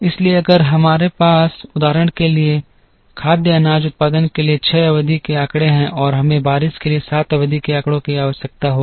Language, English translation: Hindi, So, if we have for example, six periods of data for the food grain production and we will require 7 periods of data for the rain